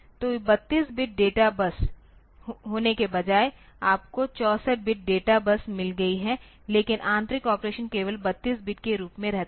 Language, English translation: Hindi, So, instead of being 32 bit data bus so, you have got 64 bit data bus, but internal operation remains as 32 bit only